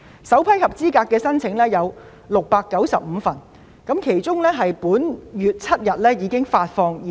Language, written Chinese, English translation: Cantonese, 首批合資格申請共695宗，我們已在本月7日向這些家庭發放現金。, The first batch of eligible applications is 695 and cash was disbursed to these households on the 7 of this month